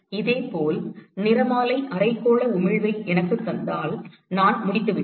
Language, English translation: Tamil, Similarly, if I know the spectral hemispherical emissivity, I am done